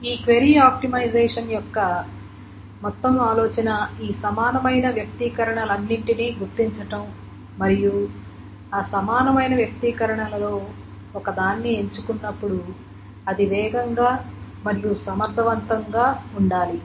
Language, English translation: Telugu, So the whole idea of this query optimization is to figure out all these equivalent expressions and then out of those equivalent expression ones, choose the one that is supposedly faster, that is supposedly better